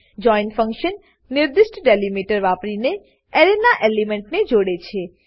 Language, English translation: Gujarati, join function joins the elements of an Array , using the specified delimiter